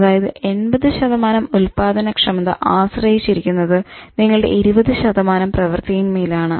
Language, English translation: Malayalam, So, 80% of your productivity depends on 20% of your activity